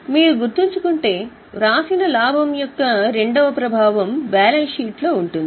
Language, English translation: Telugu, If you remember the second effect of profit retained is there in the balance sheet